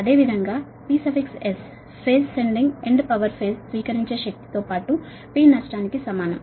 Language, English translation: Telugu, similarly, p s per phase sending end power is equal to receive per phase receiving power plus p loss